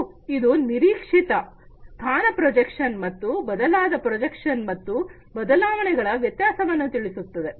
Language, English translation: Kannada, And it differentiates between the expected position projection and the altered projection expected and the altered